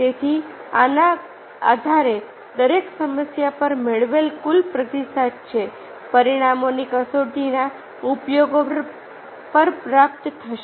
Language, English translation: Gujarati, so, based on this, the total response obtained on each problem, which will be score on the use of on the consequences test